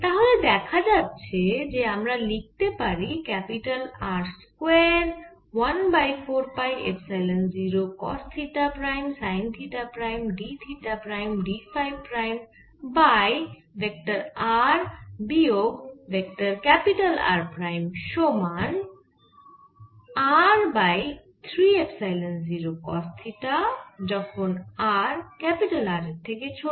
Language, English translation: Bengali, so if we write the value of mode r minus vector r, we can see the integral sin theta prime cos theta prime d theta prime d phi prime over r square plus capital r square minus two r capital r cos theta cos theta plus theta prime sin theta cos phi minus phi